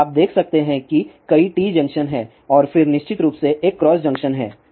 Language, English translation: Hindi, So, you can see there are several T junctions are there and then of course, there is a cross junction